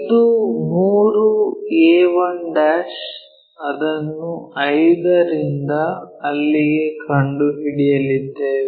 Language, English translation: Kannada, So, 3a 1' this one, we are going to locate it from 5 to somewhere there